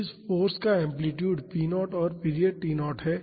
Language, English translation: Hindi, So, this force has amplitude p naught and period T naught